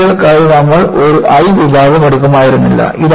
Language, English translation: Malayalam, You would not have taken, the "I section" for rails